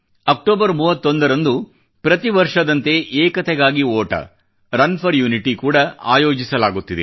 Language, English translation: Kannada, On 31st October, this year too 'Run for Unity' is being organized in consonance with previous years